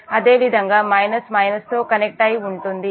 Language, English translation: Telugu, this is plus, minus connected to the reference